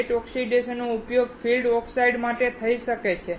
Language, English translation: Gujarati, The wet oxidation can be used for the field oxides